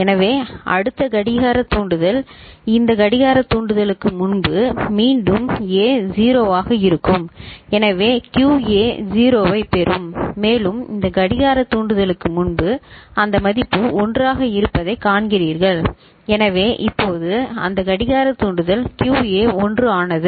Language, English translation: Tamil, So, next clock trigger before this clock trigger again A is 0 so QA will get 0 and before this clock trigger you see that value is 1 so now, after that clock trigger QA has become 1 is it fine ok